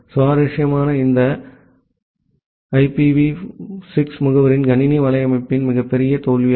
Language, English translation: Tamil, And interestingly that is actually one of the biggest failure in computer network this IPv6 addressing